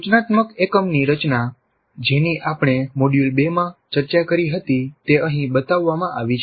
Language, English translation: Gujarati, The structure of the instruction unit which we discussed earlier in module 2 is shown here